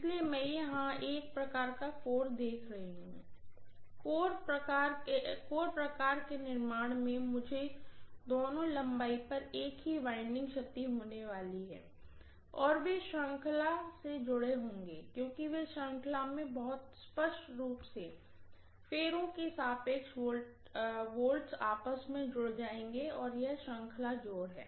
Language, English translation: Hindi, So I am looking at maybe a core type here, in core type construction, I am going to have the same winding wound on both the lengths and they will be connected in series, because they are connected in series very clearly all the voltages across all the turns add up together, it is series addition